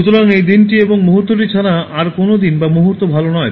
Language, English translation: Bengali, So, there is no day is better day then this day and this moment